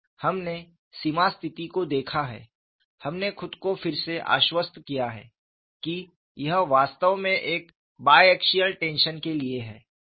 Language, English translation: Hindi, We have looked at the boundary condition,condition; we have re convinced ourselves, that it is actually for a bi axial tension